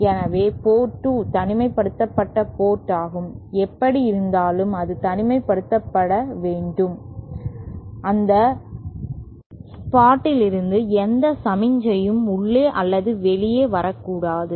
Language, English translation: Tamil, So, port 2 is the isolated port, so anyway it should be isolated, that is no signal should either come in or come out from the spot